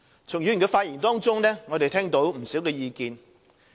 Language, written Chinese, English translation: Cantonese, 從議員的發言中，我們聽到不少意見。, We have noticed various opinions from the speeches of Members